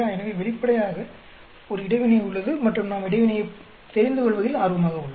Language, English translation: Tamil, So obviously, there is an interaction and we are interested in knowing the interaction